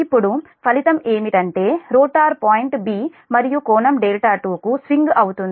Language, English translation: Telugu, now result is that the rotor swings to point b and the angle delta two